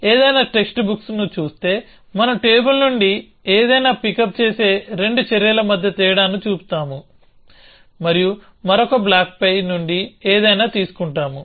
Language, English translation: Telugu, So, if you look at any text book, we use that we will distinguish between the 2 actions in which we pickup something from the table and we pick up something from top of another